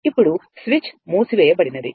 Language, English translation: Telugu, This switch is closed right